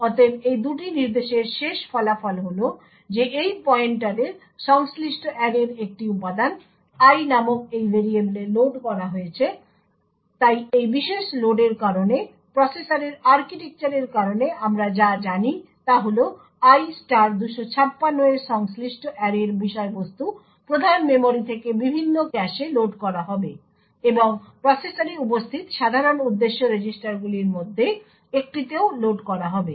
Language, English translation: Bengali, Therefore, the end result of these two instructions is that corresponding to this pointer one element of the array is loaded into this variable called i, so due to this particular load what we know due to the processor architecture is that the contents of the array corresponding to i * 256 would be loaded from the main memory into the various caches and would also get loaded into one of the general purpose registers present in the processor